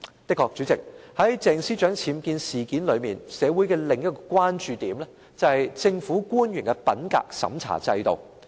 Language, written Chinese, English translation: Cantonese, 的確，主席，在鄭司長僭建事件裏，社會的另一個關注點是政府官員的品格審查制度。, Indeed President regarding the UBWs incident concerning Ms CHENG another concern of society is the integrity checking system for government officials